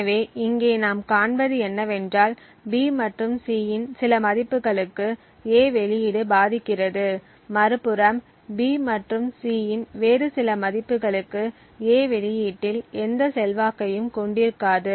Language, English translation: Tamil, So, what we see over here is that for certain values of B and C, A influences the output, while on the other hand for certain other values of B and C, A has no influence on the output